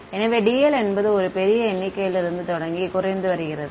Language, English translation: Tamil, So, dl is starting from a large number and decreasing